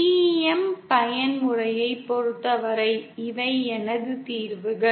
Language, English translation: Tamil, For the TEM mode, these are my solutions